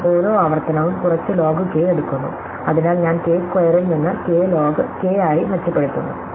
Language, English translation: Malayalam, So, each iteration takes some log k, and so I improve from k square to k log k